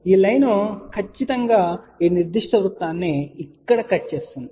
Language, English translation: Telugu, This line will definitely cut this particular circle here